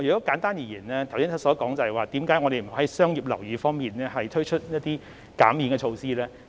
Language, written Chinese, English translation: Cantonese, 簡單而言，我剛才所說的，便是為何我們不能在商業樓宇方面推出減免措施的原因。, In short what I said just now is the reason why we cannot relax or exempt the measures on commercial properties